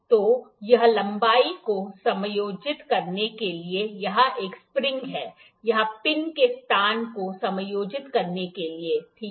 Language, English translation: Hindi, So, this is a spring here to adjust the length, to adjust the location of the pin here, ok